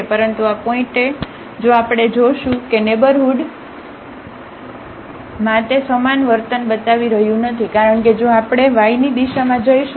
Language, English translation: Gujarati, But at this point if we see that in the neighborhood it is not showing the same behavior because if we go in the direction of y